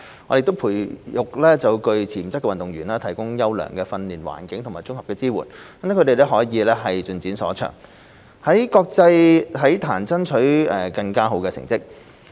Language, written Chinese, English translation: Cantonese, 我們培育具潛質的運動員，提供優良的訓練環境及綜合支援，讓他們可以盡展所長，在國際體壇爭取更佳成績。, We nurture potential athletes and provide them with quality training environment and integrated support enabling them to develop their full potential and achieve outstanding results in the international sports arena